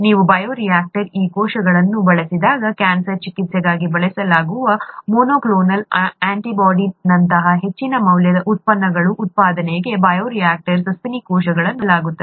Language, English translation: Kannada, When you use these cells in the bioreactor, mammalian cells are used in the bioreactor for production of high value products such as monoclonal antibodies which are used for cancer therapy and so on